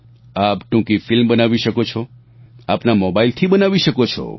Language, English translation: Gujarati, You can make a short film even with your mobile phone